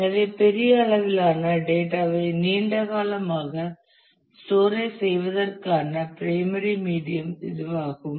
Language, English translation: Tamil, So, this is the primary medium for long term storage of large volume of data